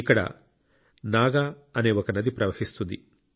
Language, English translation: Telugu, A river named Naagnadi flows there